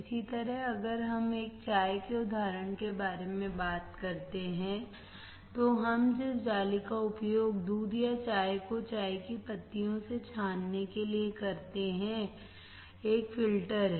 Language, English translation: Hindi, So, same way if we talk about example of a tea, then the mesh that we use to filter out the milk or the tea from the tea leaves, there is a filter